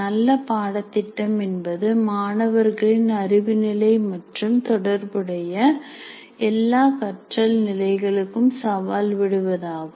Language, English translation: Tamil, Good courses challenge students to all the relevant cognitive and affective levels of learning